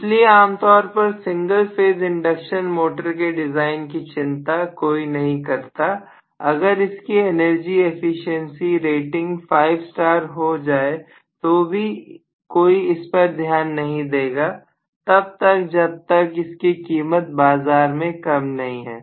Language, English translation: Hindi, So generally nobody cares about the design of single phase induction motor so much even if you say it has 5 star energy efficiency rating nobody is going to go and fall on it as long as the price is somewhat lower in the other case that is the reason